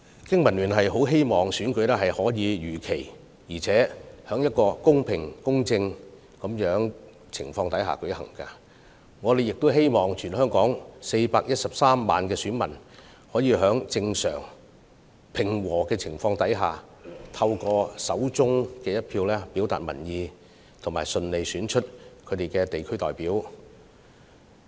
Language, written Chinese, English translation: Cantonese, 經民聯希望選舉能夠如期在公平公正的情況下舉行，亦希望全港413萬名選民能夠在正常及和平的情況下，運用手上的一票表達意見，順利選出他們心儀的地區代表。, BPA hopes to see the fair and impartial conduct of the election as scheduled while also wishing that the 4.13 million voters in Hong Kong could express their views and smoothly elect their desired district representatives with their votes under normal and peaceful circumstances